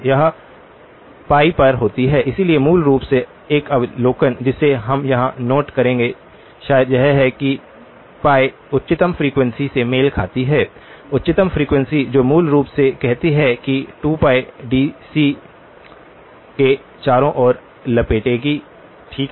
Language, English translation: Hindi, It occurs at pi, so basically an observation that we would note down here maybe to the side is that the pi corresponds to the highest frequency; highest frequency which basically also says 2pi will wrap around to DC, okay